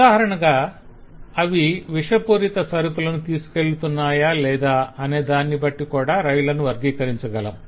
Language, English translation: Telugu, so we can classify the trains according to, for example, whether or not they carry toxic goods